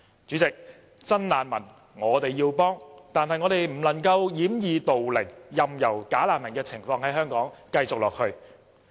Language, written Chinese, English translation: Cantonese, 主席，我們要幫助真難民，但我們不能掩耳盜鈴，任由"假難民"的情況在香港繼續下去。, President we need to help the genuine refugees . Let us not deceive ourselves and allow the problem of bogus refugees to persist any longer in Hong Kong